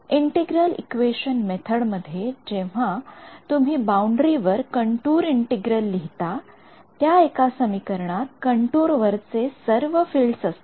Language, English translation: Marathi, In the case of the integral equation method when you write a contour integral on the boundary, that one equation involves all the fields along the contour